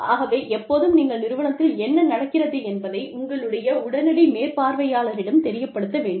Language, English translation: Tamil, So, you should always, let your immediate supervisor know, what is going on